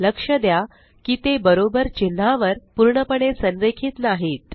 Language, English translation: Marathi, Notice that they are not perfectly aligned on the equal to character